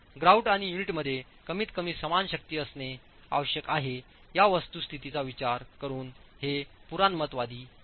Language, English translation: Marathi, It is conservative considering the fact that the grout and the unit are required to have at least the same strength